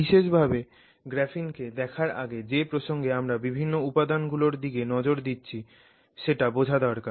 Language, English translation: Bengali, So, before we look at graphene specifically, we need to understand the context in which we are looking at different materials